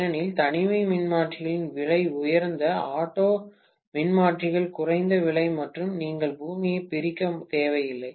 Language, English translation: Tamil, Because isolation transformers are costlier, auto transformers are less costly and you do not need to separate the earth